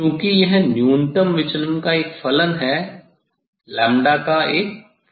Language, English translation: Hindi, this or since is a function of minimum deviation is a function of lambda